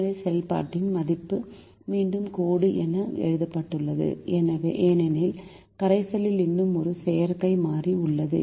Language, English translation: Tamil, the value of the objective function is again written as dash because there is still an artificial variable in the solution